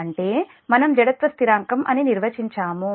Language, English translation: Telugu, that is, we define the inertia constant